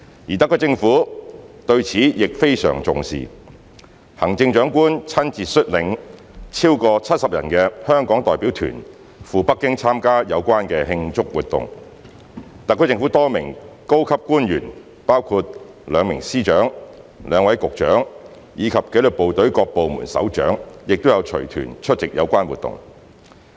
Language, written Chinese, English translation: Cantonese, 而特區政府對此亦非常重視，行政長官親自率領超過70人的香港代表團赴北京參加有關慶祝活動，特區政府多名高級官員包括兩名司長、兩位局長，以及紀律部隊各部門首長亦有隨團出席有關活動。, The Government of the Hong Kong Special Administrative Region HKSAR attaches a lot of importance to the occasion . The Chief Executive led a delegation of more than 70 people to attend the celebration activities in Beijing . Various senior officials of the HKSAR Government including two Secretaries of Departments two Bureau Directors and the heads of disciplined services departments also joined the delegation